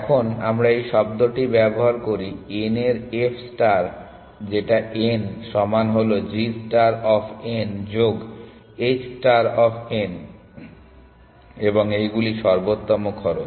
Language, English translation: Bengali, Now, we use this term f star of n is equal to g star of n plus h star of n and these are optimal cost